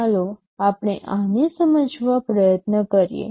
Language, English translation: Gujarati, Let us try to explain this